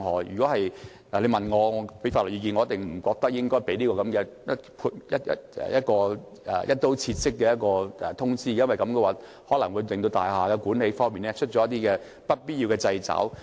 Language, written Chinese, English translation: Cantonese, 如果你問我法律意見，我覺得不應該發出這個"一刀切"式的確認書，因為這可能會令大廈管理方面出現一些不必要的掣肘。, If you ask for my legal advice I would say that such kind of across - the - board confirmation should not be issued as it may pose some unnecessary constraints on the management of buildings